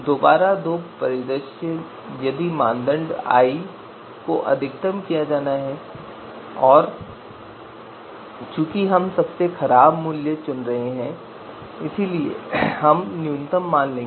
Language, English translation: Hindi, So again two scenarios if the you know criterion i is to be you know maximized and since we are picking the worst value so we will take the you know minimum value